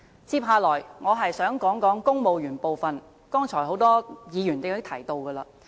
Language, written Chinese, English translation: Cantonese, 接下來，我想談談公務員的部分，剛才已有很多議員提及。, Next I wish to talk about the Civil Service and many Members just now have also touched on this subject